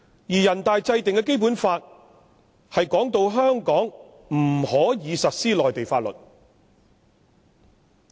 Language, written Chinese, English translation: Cantonese, 全國人大制定的《基本法》，訂明香港不能實施內地法律。, It is stipulated in the Basic Law formulated by NPC that Mainland laws are not applicable to Hong Kong